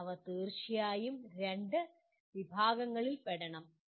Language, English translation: Malayalam, But they truly should belong to those two categories